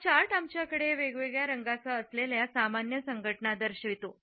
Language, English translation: Marathi, This chart displays the normal associations which we have with different colors